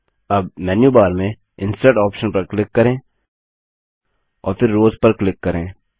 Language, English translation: Hindi, Now click on the Insert option in the menu bar and then click on Rows